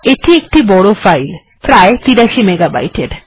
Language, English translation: Bengali, It is a large file, about 83 mega bytes